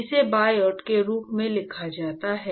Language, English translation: Hindi, It is written as Biot